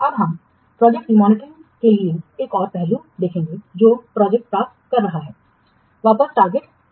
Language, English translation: Hindi, Now we will see the another aspect for this project monitoring that is getting the project back to the target